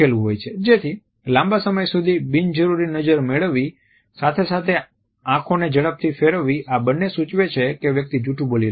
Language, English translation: Gujarati, So, holding the gaze for an unnecessarily longer period as well as darting eyes both me suggest that the person is lying